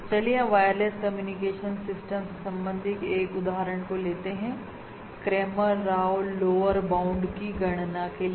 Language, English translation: Hindi, So let us look at an example in the context of a wireless communication system to compute the Cramer Rao lower bound